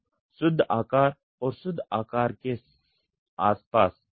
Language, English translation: Hindi, So, net shape and near net shape